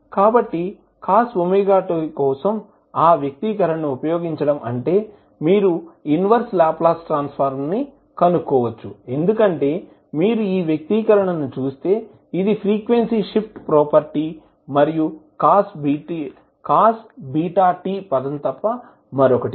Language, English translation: Telugu, So, using that expression for cos omega t that is you can find out the inverse Laplace transform because, if you see this expression, this is nothing but the frequency shift property plus the cos beta t term